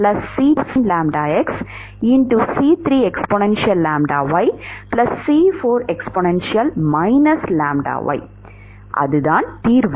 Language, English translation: Tamil, Is that the solution